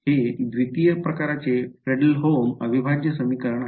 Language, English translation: Marathi, This is a Fredholm integral equation of second kind